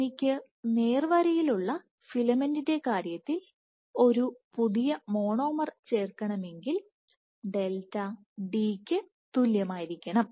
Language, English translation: Malayalam, So, for the case of a straight filament if a new monomer is to be added then I must have delta is equal to d; however, if you have a geometry like this